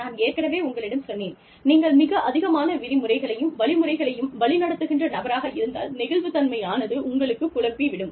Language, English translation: Tamil, Like i told you, if you are a very rule driven, instruction driven, person, then flexibility could confuse you